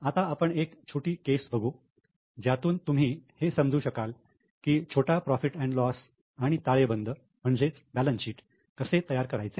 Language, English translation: Marathi, Now let us go to a small case where perhaps you will understand how to make a small P&L and balance sheet